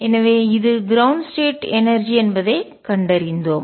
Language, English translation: Tamil, So, we found that this is the ground state energy